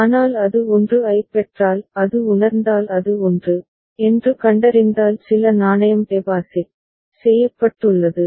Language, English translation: Tamil, But if it receives 1; if it senses it finds that it is 1 then some coin has been deposited